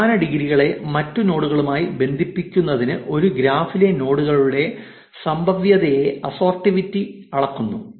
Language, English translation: Malayalam, Assortativity measures the probability of nodes in a graph to link to other nodes of similar degrees